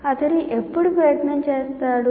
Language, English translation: Telugu, When does he put the effort